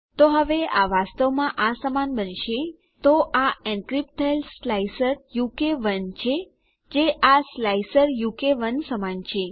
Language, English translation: Gujarati, So now this will actually be equal to this, so this is encrypted slicer u k 1, which is equal to this slicer u k 1